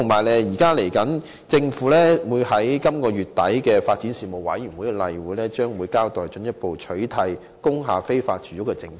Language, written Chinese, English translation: Cantonese, 另外，政府將在本月底舉行的發展事務委員會例會上，交代進一步取締工業大廈非法住屋的政策。, Separately at the regular meeting of the Panel on Development scheduled for the end of this month the Government will brief Members on its policy to eradicate illegal domestic use in industrial buildings